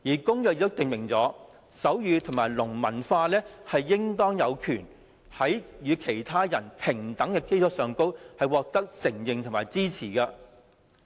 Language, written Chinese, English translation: Cantonese, 《公約》亦訂明，手語和聾文化應當有權在與其他人平等的基礎上獲得承認和支持。, It is also stipulated in the Convention that persons with disabilities shall be entitled on an equal basis with others to recognition and support of their sign languages and deaf culture